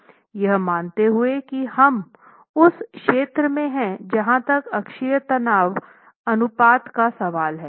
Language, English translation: Hindi, Assuming that we are somewhere here as far as the, in that zone as far as the axial stress ratio is concerned